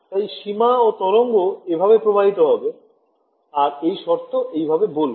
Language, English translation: Bengali, So, boundary and a wave travels like this and I impose the condition this one